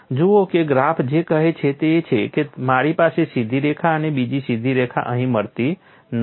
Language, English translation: Gujarati, See what does this graph says is I cannot have a straight line and another straight line meet in here